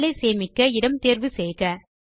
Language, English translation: Tamil, Choose the location to save the file